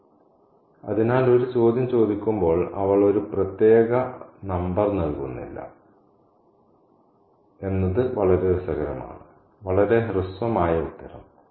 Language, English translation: Malayalam, So, it's very interesting that when she is asked a question, she doesn't give a particular number, a very brief answer